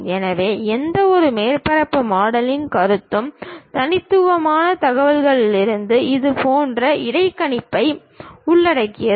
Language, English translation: Tamil, So, any surface modelling concept involves such kind of interpolation from the discrete information